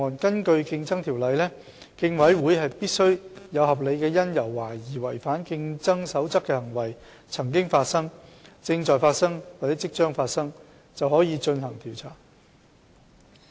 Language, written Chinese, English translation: Cantonese, 根據《競爭條例》，競委會必須有合理因由懷疑違反競爭守則的行為曾經發生、正在發生或即將發生，便可以進行調查。, According to CO the Commission must have reasonable cause to suspect that a contravention of a Competition Rule has taken place is taking place or is about to take place to commence an investigation